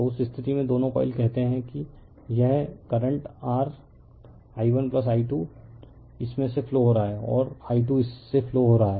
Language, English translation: Hindi, So, in that case both the coils say this current your, i 1 plus i 2 flowing through this and i 2 is flowing through this